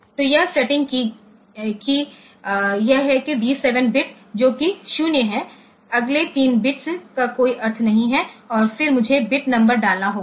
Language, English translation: Hindi, So, that is the setting that this is that D 7 bit which is 0 next 3 bits do not have any meaning and